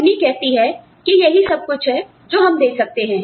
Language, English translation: Hindi, That the company says, this is all, I can afford